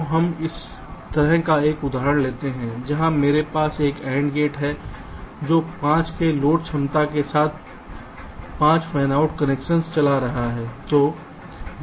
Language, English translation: Hindi, so we take an example like this, where i have a nand gate which is driving five fanout connections with a total load capacitance of five